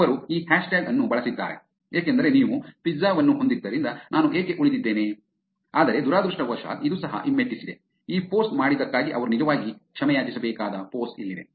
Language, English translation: Kannada, They used this hashtag why I stayed because you had the pizza, but unfortunately this also back fire, here is the post that they had to actually apologize for doing this post